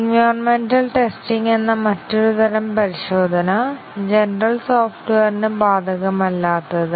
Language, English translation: Malayalam, One more type of testing, which is environmental test; which is not applicable to general software